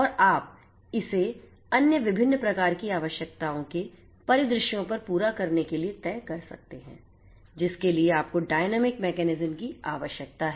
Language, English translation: Hindi, And you can extrapolate it to cater to the other different types of requirements scenarios and so on so, for which you need to have dynamic mechanisms in place